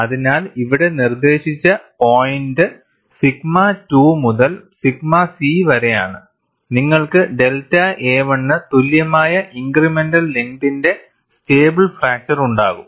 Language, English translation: Malayalam, So, from the point here, which is dictated by sigma 2, to sigma c, you will have a stable fracture of the incremental length equal to delta a 1